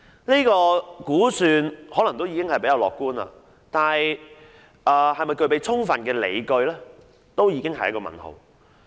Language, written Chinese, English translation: Cantonese, 這項估算可能已相對樂觀，但其是否具備充分理據，本身已是一個問號。, While such an estimate may be relatively optimistic there is a question mark over whether it is fully justified